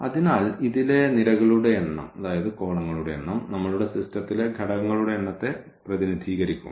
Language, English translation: Malayalam, So, the number of the columns in this a will represent the number of elements in our system